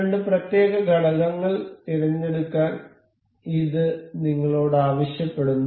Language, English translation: Malayalam, This asks us to select two particular elements